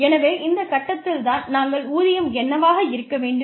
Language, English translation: Tamil, So, we decide at this point, what should the wage be